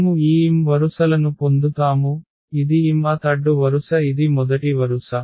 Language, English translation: Telugu, So, this is the mth mth row this is the first row